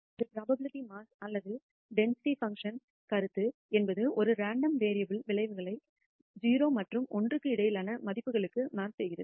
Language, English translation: Tamil, The notion of a probability mass or a density function is a measure that maps the outcomes of a random variable to values between 0 and 1